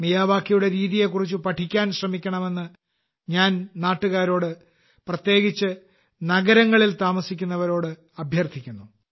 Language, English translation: Malayalam, I would urge the countrymen, especially those living in cities, to make an effort to learn about the Miyawaki method